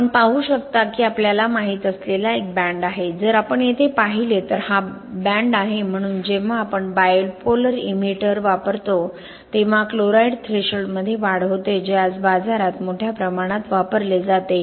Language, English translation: Marathi, You can see that there is a you know, the band if you look at here, here this is the band so there is an increase in the chloride threshold when we use bipolar inhibitors which is in the market widely used in the market today